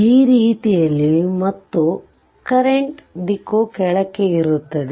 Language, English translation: Kannada, In that way the and the direction of the current will be downwards